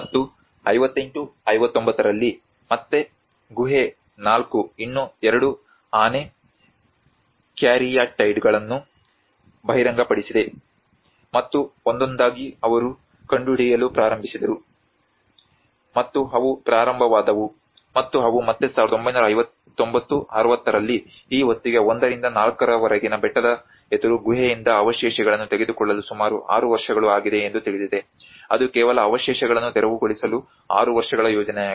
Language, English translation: Kannada, \ \ And in 58 59, there is again cave 4 revealed two more elephant caryatides, and like that one by one they started discovering, and they started and they again in 1959 60 by this time it is almost 6 years to even taking the debris from the hillside opposite cave 1 to 4 you know that is how it is a six year project only just to clear the debris